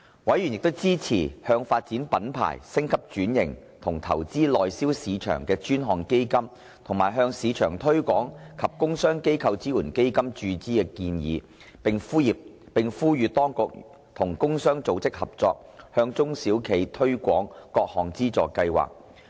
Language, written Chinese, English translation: Cantonese, 委員支持向發展品牌、升級轉型及拓展內銷市場的專項基金和向市場推廣及工商機構支援基金注資的建議，並呼籲當局與工商組織合作，向中小企推廣各項資助計劃。, Members supported the proposals to inject funds into the Dedicated Fund on Branding Upgrading and Domestic Sales and the Export Marketing and Trade and Industrial Organization Support Fund . They called on the authorities to collaborate with industry organizations to promote the various funding schemes to small and medium enterprises SMEs